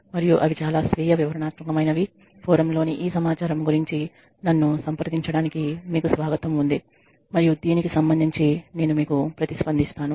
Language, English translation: Telugu, And they are very self explanatory, you are welcome to contact me regarding these this information on the forum and I will respond to you regarding this